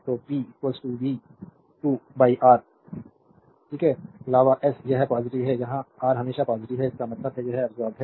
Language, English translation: Hindi, So, p is equal to v square by R always it is positive where i square R always positive; that means, it absorbed power